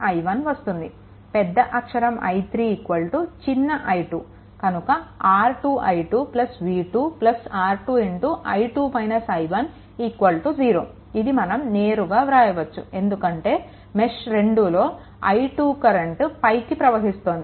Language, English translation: Telugu, So, here i 3 R 3 R 2 i 2 plus v 2 plus R 2 into i 2 minus i 1 is equal to 0, straight forward, you can write, right because when you are moving in a mesh 2 i 2 is upward